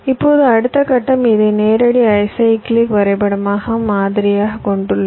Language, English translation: Tamil, now the next step is to model this as a direct acyclic graph